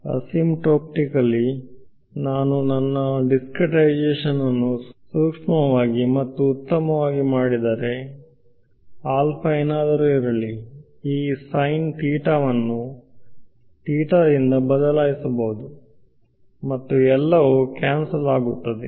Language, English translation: Kannada, 1 right asymptotically as I make my discretization finer and finer whatever be alpha right, that sin theta can get replaced by theta and everything will get cancelled off